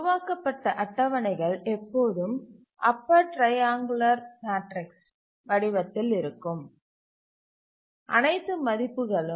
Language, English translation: Tamil, If we look at the tables that we developed, they are always in the form of a upper triangular matrix